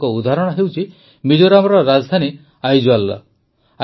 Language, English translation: Odia, One such example is that of Aizwal, the capital of Mizoram